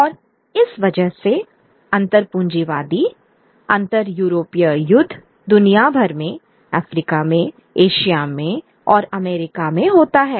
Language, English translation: Hindi, And that leads to these intercapitalist inter European wars across the globe in Africa, in Asia and in Americas